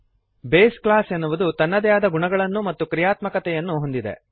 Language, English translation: Kannada, The base class has its own properties and functionality